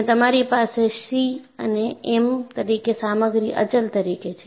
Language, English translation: Gujarati, And what you have as c and m are material constants